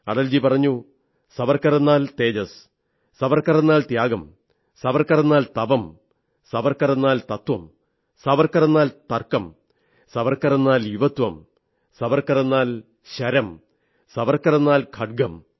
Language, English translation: Malayalam, Atal ji had said Savarkar means brilliance, Savarkar means sacrifice, Savarkar means penance, Savarkar means substance, Savarkar means logic, Savarkar means youth, Savarkar means an arrow, and Savarkar means a Sword